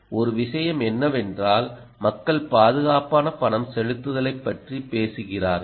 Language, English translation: Tamil, ok, one thing is, people talk about secure payments